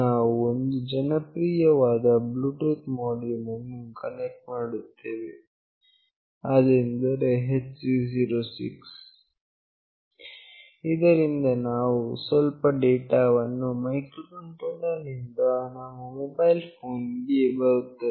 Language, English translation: Kannada, We will be connecting a popular Bluetooth module that is HC 06, where we will be sending some data from the microcontroller to my mobile phone